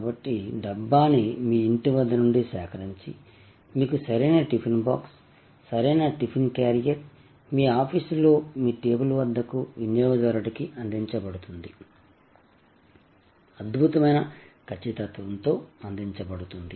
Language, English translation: Telugu, So, it is picked up the right dabba is picked up, right tiffin box, right tiffin carrier is picked up from the right home and delivered to the right consumer at the right office at the right table, fantastic precision